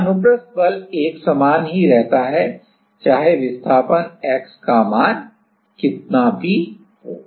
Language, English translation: Hindi, So, the transverse force is same wherever how much is the value of x irrespective of that